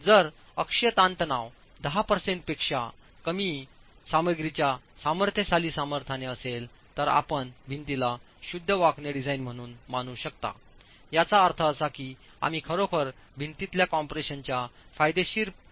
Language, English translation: Marathi, If the axial stress is less than 10% of the compressive strength of the material, you can treat the wall as a pure bending design, meaning that you are really not depending on the beneficial effect of compression in the wall